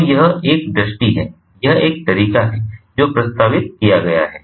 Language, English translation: Hindi, so its a vision, its a way forward that has been proposed